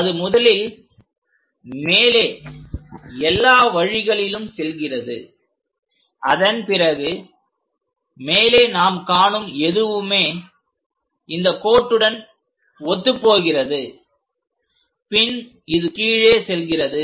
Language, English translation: Tamil, It goes all the way up it goes up and after that on top whatever that we see that will be coinciding with these lines and this goes down